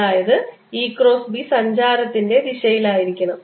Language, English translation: Malayalam, e cross b should be in the direction of propagation